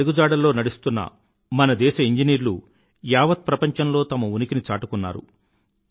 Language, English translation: Telugu, Following his footsteps, our engineers have created their own identity in the world